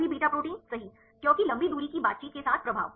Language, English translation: Hindi, All beta proteins right because influence with long range interactions